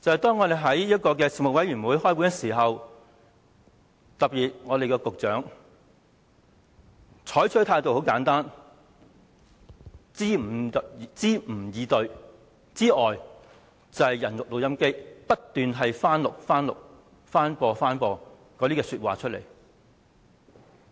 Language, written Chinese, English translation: Cantonese, 當我們舉行事務委員會會議時，當局特別是局長採取的態度，要不是支吾以對，便是當"人肉錄音機"，不斷重播同一番說話。, At meetings of the Panel the authorities the Secretary in particular would give ambivalent answers or keep repeating the same remarks like a human recorder